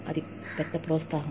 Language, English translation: Telugu, That is a big boost